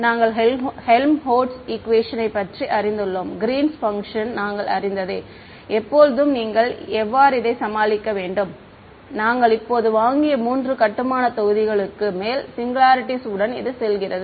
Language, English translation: Tamil, We knew the Helmholtz equation we knew Green's function right and when you how to deal with singularities go over the three building blocks which we have buy now very comfortable with ok